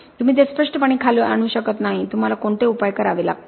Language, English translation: Marathi, You cannot obviously bring it down, what are the remedial measures that you need to take up